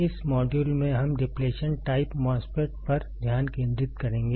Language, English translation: Hindi, In this module we will concentrate on depletion type MOSFET